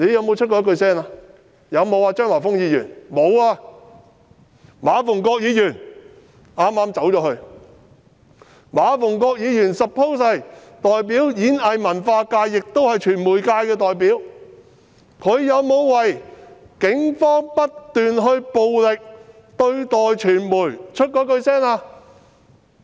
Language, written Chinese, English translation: Cantonese, 馬逢國議員——他剛離開會議廳——馬逢國議員是演藝文化界的代表，亦是傳媒界的代表，他有沒有就警方不斷以暴力對待傳媒說過一句話？, Mr MA Fung - kwok―he just left the Chamber―Mr MA Fung - kwok represents the performing arts and culture sectors and he is also the representative of the media . Did he say a word about continuous police violence against the media?